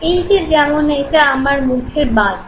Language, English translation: Bengali, So say for instance this is my left side of the face